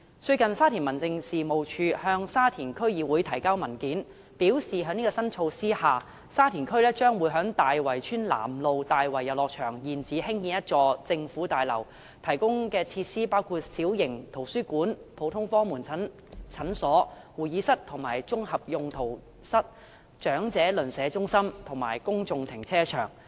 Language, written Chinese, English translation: Cantonese, 最近沙田民政事務處向沙田區議會提交文件，表示在這項新措施下，沙田區將會在大圍村南路大圍遊樂場現址興建一座政府大樓，提供的設施包括：小型圖書館、普通科門診診所、會議室及綜合用途室、長者鄰舍中心，以及公眾停車場。, Recently the Sha Tin District Office has submitted a paper to the Sha Tin District Council indicating that under this new initiative a government building will be constructed at the existing site of Tai Wai Playground at Tsuen Nam Road Tai Wai in Sha Tin District . The facilities which will be provided include a small library a general outpatient clinic conference rooms multi - purpose rooms a Neighbourhood Elderly Centre and a public car park